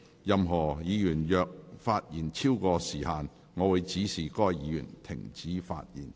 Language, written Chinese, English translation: Cantonese, 任何議員若發言超過時限，我會指示該議員停止發言。, If any Member speaks in excess of the specified time I will direct the Member concerned to discontinue